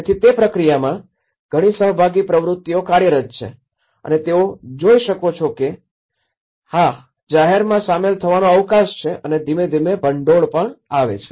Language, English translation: Gujarati, So, in that process, what happened was because there is a lot of participatory activities working on and they could see that yes, there is a scope of engaging the public and gradually the funding